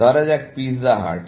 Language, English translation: Bengali, Let us say, pizza hut